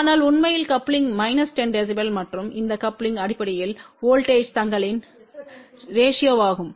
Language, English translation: Tamil, But in reality coupling is minus 10 db and this coupling is basically ratio of voltages